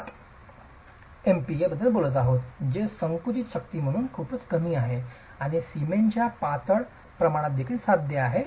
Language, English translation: Marathi, 7 MPA, which is very low as a compressive strength and achievable even with lean proportions of cement to sand